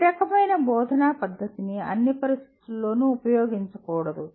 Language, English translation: Telugu, Every type of instructional method should not be used in all conditions